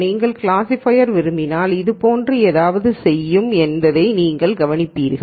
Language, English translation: Tamil, And you would notice that if you wanted a classifier, something like this would do